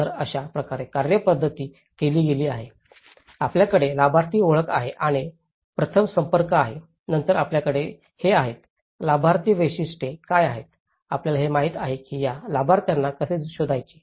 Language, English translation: Marathi, So, this is how the methodology has been done, you have the identification of the beneficiaries and the first contacts, then you have these, what is characteristics of the beneficiaries, you know how do one figure out these beneficiaries